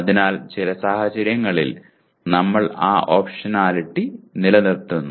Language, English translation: Malayalam, So in some cases you have, so we retain that optionality